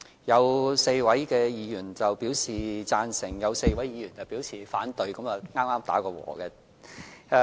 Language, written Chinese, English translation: Cantonese, 有4位議員表示贊成 ，4 位議員表示反對，剛好平手。, Four Members support this while another four Members oppose it just evenly matched